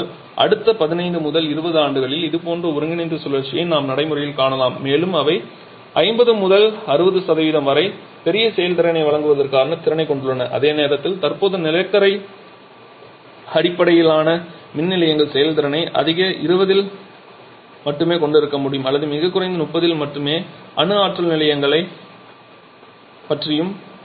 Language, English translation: Tamil, But we may seen such kind of combined cycle in practice in next 15 to 20 years and they have the potential of offering huge efficiency well in the range of 50 to 60% whereas present coal blaze power stations can have efficiency will only in the high 20s or very low 30’s and the same about nuclear plants as well